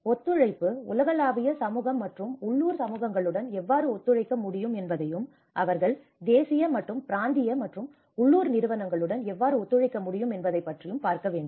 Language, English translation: Tamil, Collaboration also has to look at how the global community can collaborate with the local communities and how they can cooperate with the national and regional and local